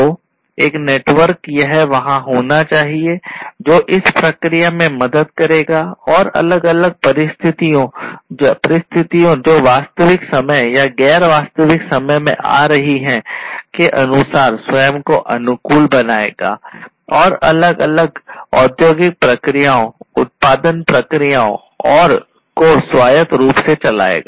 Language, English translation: Hindi, So, this network will help in the process and self adapting to the different conditions, which are coming in real time or non real time, and automate autonomously running the different industrial processes the production processes